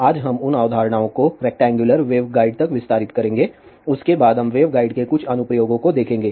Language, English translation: Hindi, Today, we will extend those concepts to rectangular waveguide after that we will see some applications of wave guides